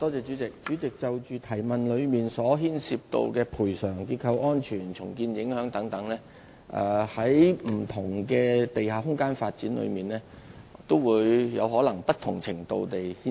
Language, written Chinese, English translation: Cantonese, 主席，關於是項補充質詢所提及，牽涉到賠償、結構安全及重建影響等問題，在不同的地下空間發展中均可能會有不同程度的影響。, President with regard to the issues mentioned in the supplementary question that is the problems arise in such aspects as compensation structural safety and impacts on redevelopment when underground space development projects are implemented the extent of influence brought forth may vary from case to case